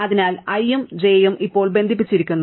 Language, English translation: Malayalam, So, i and j are now connected